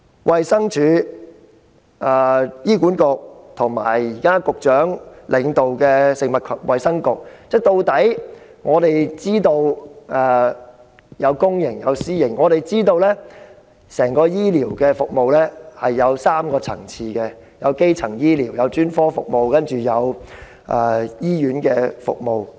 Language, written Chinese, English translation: Cantonese, 衞生署、醫院管理局及局長現時領導的食物及衞生局的公營醫療服務，以及私營醫療服務可分為3個層次：基層醫療、專科服務及醫院服務。, Public healthcare services under the Department of Health DH the Hospital Authority HA and the Food and Health Bureau headed by the Secretary and also private healthcare services can be divided into three tiers primary healthcare specialist services and hospital services